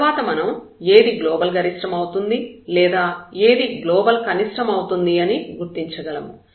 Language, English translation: Telugu, And then, we can identify that which one is the point of maximum the global maximum or which one is the point of a global minimum